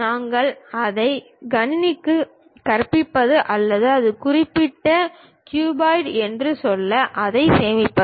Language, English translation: Tamil, That is the way we teach it to the computer or store it to say that it is of that particular cuboid